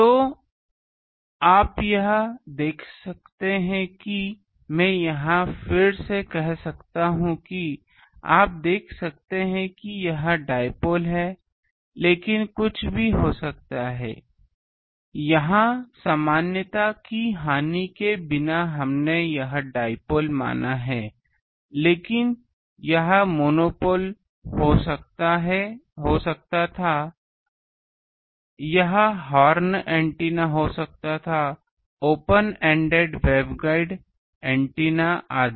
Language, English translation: Hindi, So, this you see that I can say here again, you can see the that this is dipole but it could have been anything, here without loss of generality we are assumed dipoles this could have been monopoles this could have been horn antennas this could have been open ended waveguide antenna etc